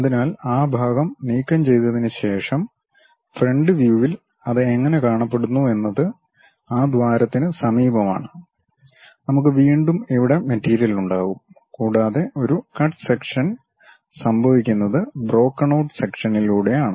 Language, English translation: Malayalam, So, in the front view after removing that part; the way how it looks like is near that hole we will be having material and again here, and there is a cut section happen through broken kind of part